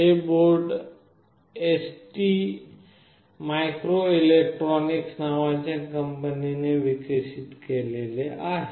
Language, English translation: Marathi, This board is developed by a company called ST microelectronics